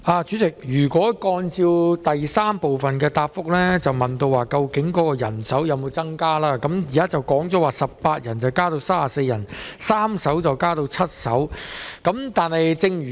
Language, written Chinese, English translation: Cantonese, 主席，主體答覆第三部分問及人手有否增加，而當局的回應是人手由18人增加至34人，船隻數目亦由3艘增至7艘。, President part 3 of the main reply asks whether there has been an increase in manpower and the authorities have responded that the number of members in the enforcement team and the number of vessels have increased from 18 to 34 and from 3 to 7 respectively